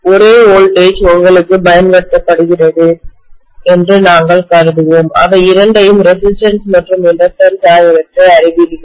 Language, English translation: Tamil, So we will assume that the same voltage is being applied to you know both of them, the resistance as well as the inductance